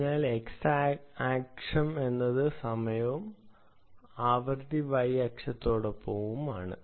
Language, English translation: Malayalam, so x axis is the time and frequency is along the y axis